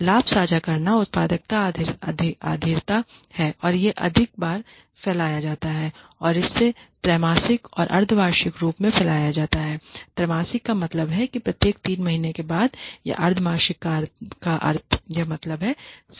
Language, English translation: Hindi, Gain sharing is productivity based it is dispersed more frequently and it is dispersed either quarterly or semi annually which means after quarterly means after every 3 months or semi annually semi means half annual means year so half yearly